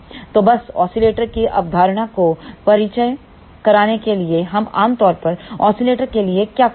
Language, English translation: Hindi, So, just to introduce the concept of the oscillator so, what do we generally do for oscillator